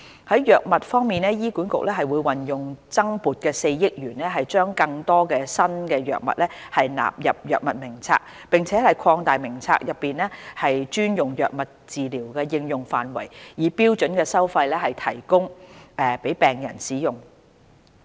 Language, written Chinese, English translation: Cantonese, 在藥物方面，醫管局會運用增撥的4億元將更多新藥物納入藥物名冊，並擴大名冊內專用藥物的治療應用範圍，以標準收費提供予病人使用。, In respect of drugs HA will use the additional funding of 400 million to include more new drugs in the Drug Formulary and extend the therapeutic applications of the special drugs listed in the Drug Formulary with a view to providing these drugs for use by patients at standard fees and charges